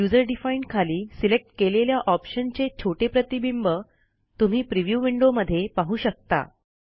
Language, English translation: Marathi, Under User defined, you can see a small preview window which displays the selection